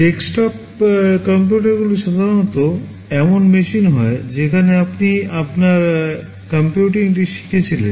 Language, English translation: Bengali, Desktop computers are typically machines where you have learnt your computing on